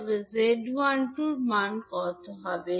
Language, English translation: Bengali, So, what would be the value of Z12